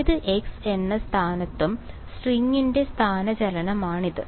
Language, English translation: Malayalam, Its the displacement of the string at any position x ok